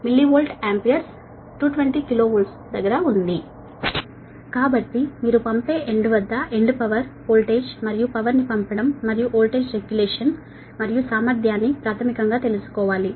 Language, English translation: Telugu, so you have to find out basically that sending end power voltage and power at the sending end and voltage regulation and efficiency